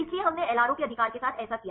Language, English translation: Hindi, So, we did this with the LRO right